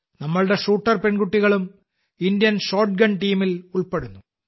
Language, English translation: Malayalam, Our shooter daughters are also part of the Indian shotgun team